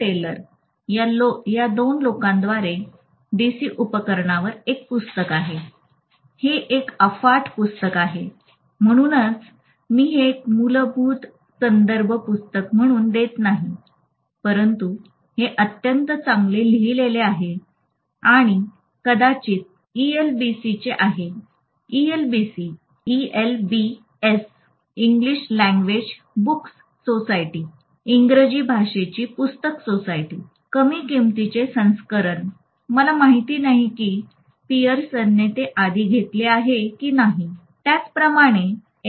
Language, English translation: Marathi, Taylor, there is a book on DC machine by these two people, it is a vast book that is why I would not give this as a principle reference book but it is written extremely well and this is from probably ELBS, it used to come from ELBS, English language books society, low price edition, I don’t know whether Pearson has taken it already, I am not sure